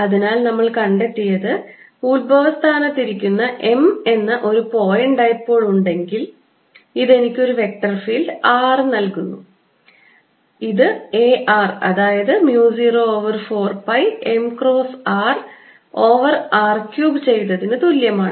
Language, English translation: Malayalam, so what we have shown is if there is a point dipole m sitting at the origin, this gives me a vector field r a r which is mu naught over four pi m cross r over r cubed